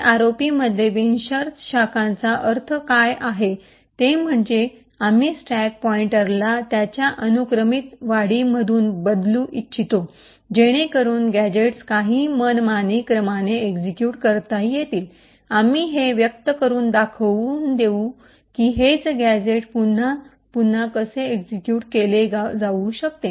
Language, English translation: Marathi, So what do we mean by unconditional branching in ROP is that we want to change stack pointer from its sequential increments so that gadgets can be executed in some arbitrary order, we will demonstrate this by showing how the same gadget can be executed over and over again in a loop